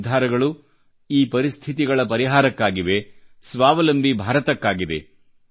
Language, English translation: Kannada, The objective of these decisions is finding solutions to the situation, for the sake of a selfreliant India